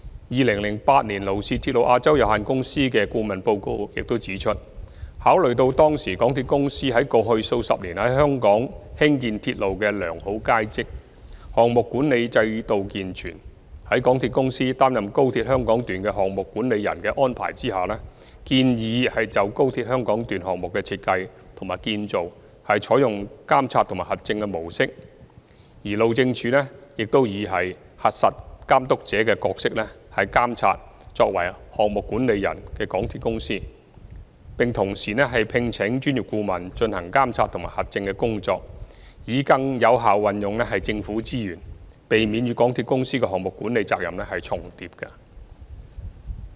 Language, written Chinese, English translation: Cantonese, 2008年勞氏鐵路亞洲有限公司的顧問報告中指出，考慮到當時港鐵公司於過去數十年在香港興建鐵路的良好往績，項目管理制度健全，在港鐵公司擔任高鐵香港段的"項目管理人"的安排下，建議就高鐵香港段項目的設計和建造採用"監察和核證"的模式，而路政署亦以"核實監督者"的角色監察作為"項目管理人"的港鐵公司，並同時聘請專業顧問進行監察和核證的工作，以更有效運用政府資源，避免與港鐵公司的項目管理責任重疊。, In 2008 the consultancy report prepared by Lloyds Register Rail Asia Limited pointed out that MTRCL had a decades - long proven track record of building railways in Hong Kong and a sound project management system at the time . Therefore it recommended that while MTRCL plays the project manager role for the XRL Hong Kong Section a monitoring and verification approach should be adopted in the design and construction of the XRL Hong Kong Section and that the Highways Department HyD should perform the check the checker role to monitor the performance of MTRCL as the project manager and engage a professional consultant to conduct monitoring and verification works in order to utilize the Governments resources more effectively and avoid repetition of project management responsibilities with MTRCL